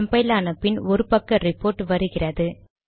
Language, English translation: Tamil, It compiles, 1 page report comes